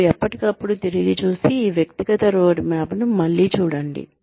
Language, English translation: Telugu, And, from time to time, go back, revisit this personal roadmap